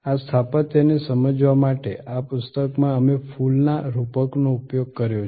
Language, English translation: Gujarati, In this book, we have used a metaphor of a flower to understand this architecture